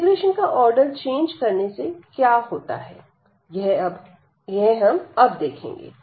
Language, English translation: Hindi, So, that is the change of order of integration